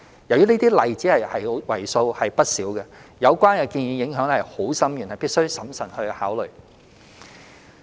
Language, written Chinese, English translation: Cantonese, 由於這些例子為數不少，有關建議影響深遠，故此必須審慎考慮。, As there are many such examples such proposals will have far - reaching implications . We therefore must consider them carefully